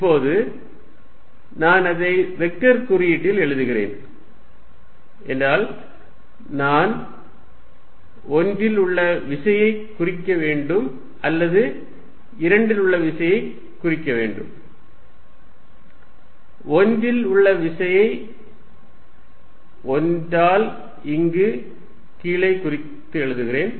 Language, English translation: Tamil, Now, if I am writing it in the vector notation I have to denote force on 1 or force on 2, let us write the force on 1 which I denote here by this subscript 1 here